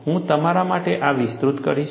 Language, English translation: Gujarati, I will enlarge this for you